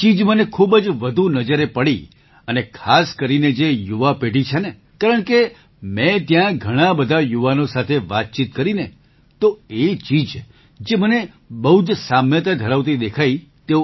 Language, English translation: Gujarati, I noticed this a lot, and especially in the young generation, because I interacted with many youths there, so I saw a lot of similarity with what they want